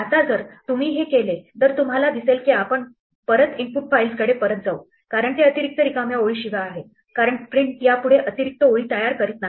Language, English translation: Marathi, Now, if you do this you see we get back to exactly the input files as it is without the extra blank lines because print is no longer creating these extra lines